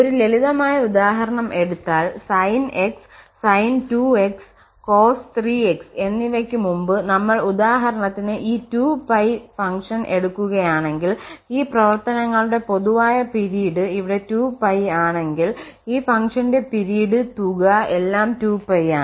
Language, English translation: Malayalam, Just a simple example if we take which we have just seen before sin x sin2x and cos3 x for instance if we take this function whose period is going to be 2 pi, if the common period of all these functions here is 2 pi, so the period of this function the sum function is 2 pi